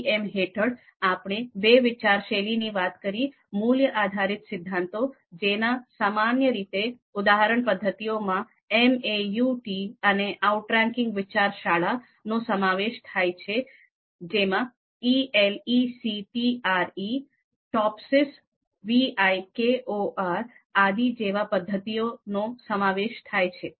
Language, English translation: Gujarati, And so in MADM, again we have two schools of thought, value based theories where the you know more common example method is MAUT and then we have outranking school of thought where we have a number of methods ELECTRE, TOPSIS, VIKOR and all those methods are there